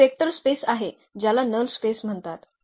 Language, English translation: Marathi, This is a vector space which is called null space